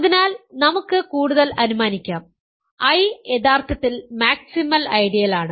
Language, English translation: Malayalam, So, we can further assume that I is actually maximal ideal